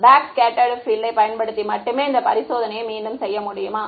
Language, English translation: Tamil, Can you repeat this experiment using backscattered field only